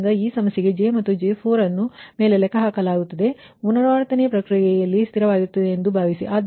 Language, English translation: Kannada, so therefore, so for this problem, j and j four are computed above, assume constant throughout the iterative process